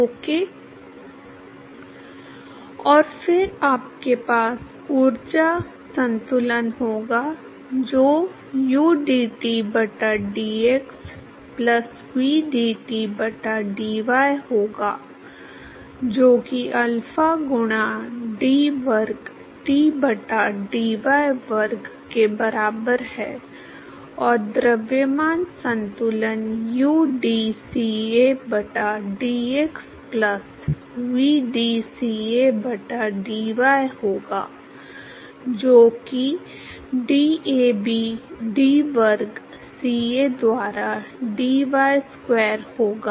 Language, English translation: Hindi, And then you have energy balance that will be udT by dx plus vdT by dy, that is equal to alpha into d square T by dy square, and the mass balance would be udCA by dx plus vdCA by dy that will be DAB d square CA by dy square